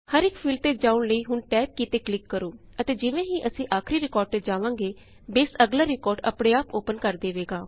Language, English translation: Punjabi, Let us click on the tab key to go to each field, and as we go to the last, Base opens the next record